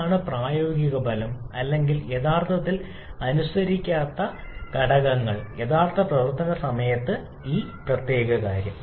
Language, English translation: Malayalam, What are the practical effect or the practical factors that actually do not obey this particular thing during real operation